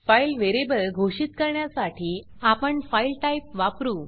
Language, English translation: Marathi, To define a file variable we use the type FILE